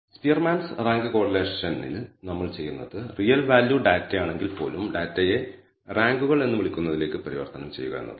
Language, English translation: Malayalam, So, in the Spearman’s rank correlation what we do is convert the data even if it is real value data to what we call ranks